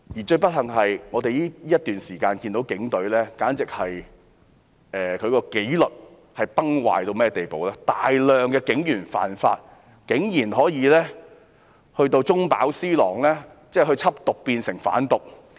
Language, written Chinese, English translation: Cantonese, 最不幸的是，我們在這段時間看到警隊的紀律簡直是崩壞，有大量警員犯法，而且竟然有警員中飽私囊，緝毒變成販毒。, Most regrettably we can see that the Police Force have lost their discipline during this period . A bunch of police officers have breached the laws and some of them who were supposed to bust drug crime ended up trafficking drugs